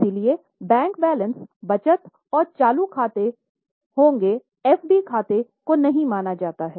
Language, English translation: Hindi, That is why bank balances in saving and current accounts will be considered not in the FD account